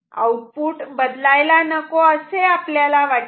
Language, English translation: Marathi, We want output not to change